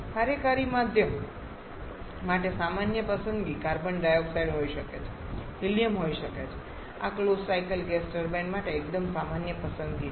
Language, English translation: Gujarati, Common choice for working medium can be carbon dioxide can be helium these are quite common choice for closed cycle gas turbine